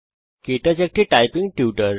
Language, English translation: Bengali, KTouch is a typing tutor